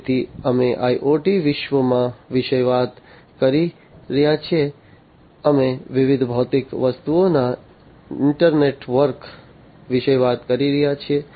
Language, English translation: Gujarati, So, we have we are talking about in the IoT world, we are talking about an internetwork of different physical objects right so different physical objects